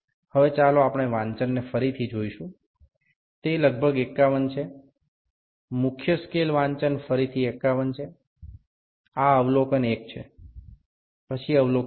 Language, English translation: Gujarati, So it is about 51, main scale readings are again 51; this is observation 1, then observation 2